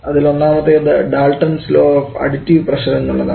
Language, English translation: Malayalam, Now from the Dalton is law of partial pressure